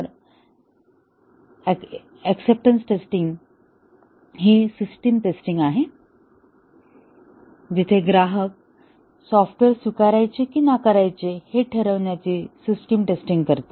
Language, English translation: Marathi, Whereas acceptance testing is the system testing, where the customer does the system testing to decide whether to accept or reject the software